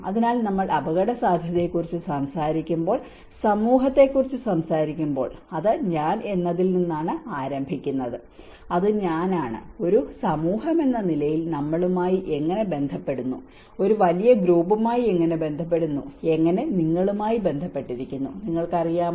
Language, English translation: Malayalam, So, when we talk about the risk, when we talk about the society, it starts with I, and it is I and how we relate to the we as a community and how we relate to our with a larger group and how we are relating to your you know